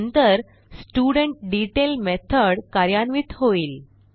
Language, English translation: Marathi, Then studentDetail method is executed